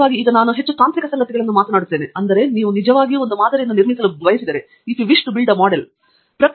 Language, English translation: Kannada, Of course, I am talking more technical stuff now, but we say that if you want to really build a model mathematical model of the process the inputs have to be persistently exciting